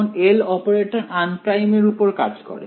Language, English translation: Bengali, Now L operator it acts only on unprimed